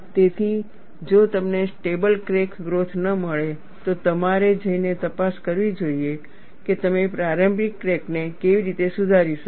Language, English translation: Gujarati, So, if you do not find a stable crack growth, you must go and investigate how you could improve the initial crack